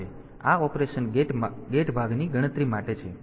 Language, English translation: Gujarati, So, this is for counting operation gate part